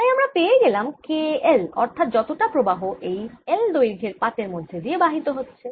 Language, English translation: Bengali, so this gives me k, l, which is the current, indeed passing through length l of the sheet